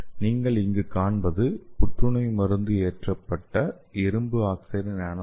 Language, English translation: Tamil, So you can see here this is the anticancer drug loaded iron oxide nanoparticles